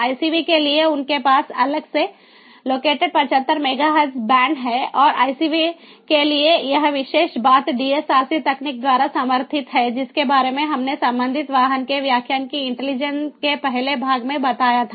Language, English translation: Hindi, so us has already done it, i for icvs they have a separate allocated seventy five megahertz band and these particular thing for icvs it is supported by the dsrc technology that we spoke about in the first part of intelligent ah, of ah, the connected vehicles lecture